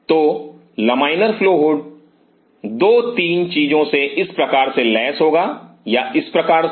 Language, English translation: Hindi, So, laminar flow hood will be equipped with 2 3 things or So